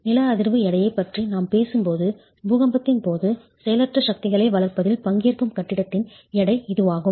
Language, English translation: Tamil, When we talk of seismic weight, it's the weight of the building that will participate in developing inertial forces during an earthquake